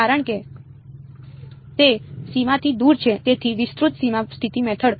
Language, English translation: Gujarati, Because it is away from the boundary so extended boundary condition method